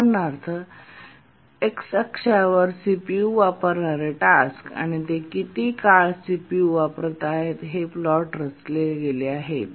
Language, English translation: Marathi, On the x axis here we have plotted the tasks that are using CPU and for how long they are using the CPU